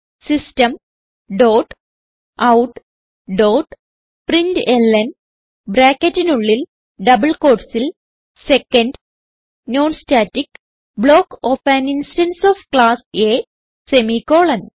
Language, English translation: Malayalam, System dot out dot println within brackets and double quotes Second Non static block of an instance of Class A semicolon